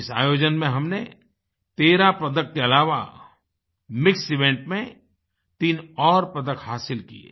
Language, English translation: Hindi, At this event we won 13 medals besides 3 in mixed events